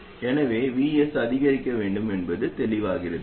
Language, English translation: Tamil, So this clearly means that VS must be increased